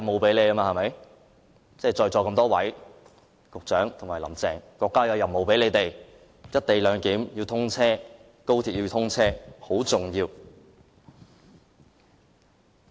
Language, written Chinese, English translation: Cantonese, 這是國家委派在席多位局長及"林鄭"的任務，達成"一地兩檢"，令高鐵可以通車，是很重要的。, That is a task assigned by our country to various incumbent Secretaries and Carrie LAM . The implementation of the co - location arrangement for the commissioning of the Guangzhou - Shenzhen - Hong Kong Express Rail Link XRL is of vital importance